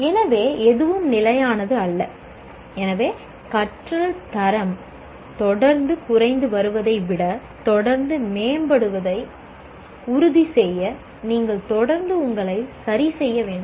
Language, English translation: Tamil, So you have to constantly adjust yourself to ensure that the quality of learning is continuously improving rather than going down